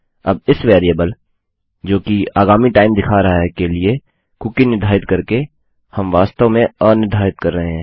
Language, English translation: Hindi, Now by setting the cookie to this variable which represents a time in the future, we are actually unsetting the cookie